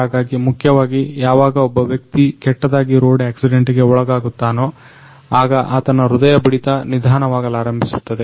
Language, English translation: Kannada, So, basically whenever a person go through a bad road accidents, then his heart pulse gradually start slowing down